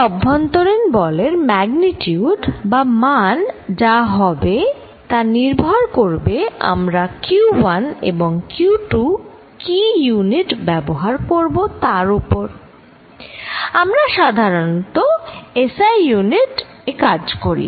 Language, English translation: Bengali, The force between them it is magnitude is going to be equal to and this depends on what units we are going to choose for q 1 and q 2 finally, it is the SI units that we work in